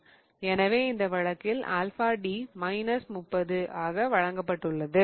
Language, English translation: Tamil, So, in this case, alpha D is given as minus 30, okay